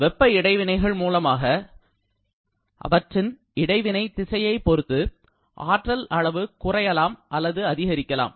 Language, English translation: Tamil, Actually, because of heat interaction, energy content may increase or may decrease depending upon the direction of heat transfer